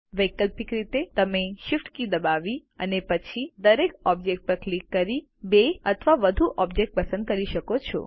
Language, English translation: Gujarati, Alternately, you can select two or more objects by pressing the Shift key and then clicking on each object